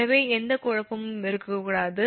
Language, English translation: Tamil, so there should not be any confusion